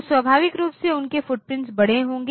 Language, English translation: Hindi, So, the naturally they are footprint will be large